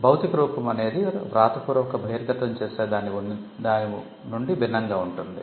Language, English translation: Telugu, The physical embodiment is different from the written disclosure